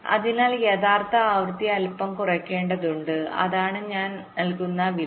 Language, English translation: Malayalam, so the actual frequency has to be reduced a little bit